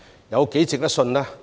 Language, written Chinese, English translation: Cantonese, 有多值得信賴呢？, How trustworthy are they?